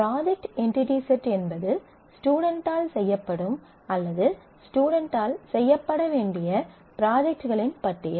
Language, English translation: Tamil, So, the project entity set is a list of projects being done by the students or to be done by the students